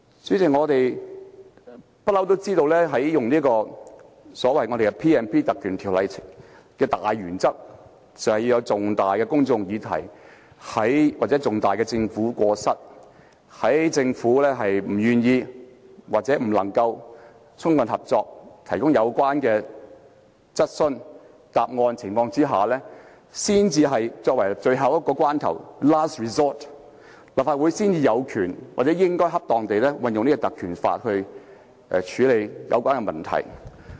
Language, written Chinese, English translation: Cantonese, 主席，我們一向知道運用賦予立法會權力及特權的條文的大原則，就是涉及重大的公眾議題或重大的政府過失，在政府不願意或未能充分合作地提供有關質詢的答案的情況下，在最後關頭，立法會才有權或應該恰當地運用立法會的權力和特權來處理有關問題。, President as we always know the general principle of invoking provisions conferring powers and privileges on the Council is that it is only when there is a major issue of public concern or a major blunder on the part of the Government and when the Government is unwilling to give or fails to fully cooperate in giving replies to questions that the Council has the right to or should properly use its powers and privileges to handle the matter as a last resort